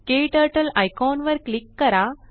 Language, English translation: Marathi, Click on the KTurtle icon